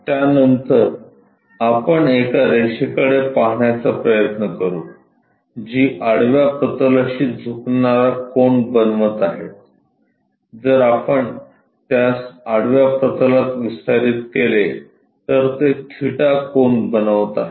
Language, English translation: Marathi, Thereafter we try to look at, a line which is making an inclination angle with the horizontal plane, if we are extending it with the horizontal plane is making an angle theta